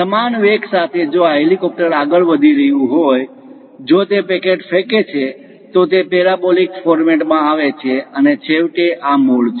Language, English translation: Gujarati, With uniform velocity, if this helicopter is moving; if it releases a packet, it comes in parabolic format, and finally this is the origin